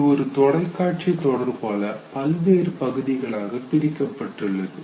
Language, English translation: Tamil, It just like a television serial which is broken into several episodes